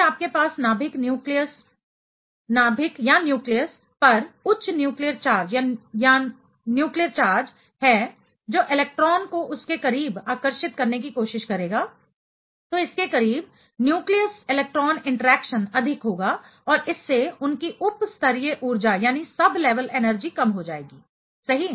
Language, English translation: Hindi, If you have a higher nuclear charge at the nucleus that will try to attract the electron close to it, close to it, nucleus electron interaction will be higher and thereby, their sub level energy will be minimized right